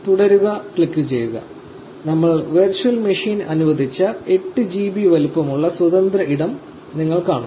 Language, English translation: Malayalam, Just click continue and you will see free space of the 8 GB size that we allocated the virtual machine